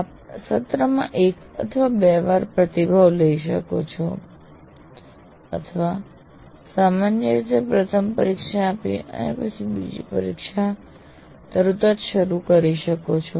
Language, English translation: Gujarati, You can do it once in a semester or twice in a semester or generally immediately after the first test and immediately after the second test